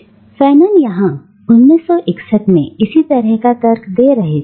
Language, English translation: Hindi, And, Fanon here, is making a similar argument in 1961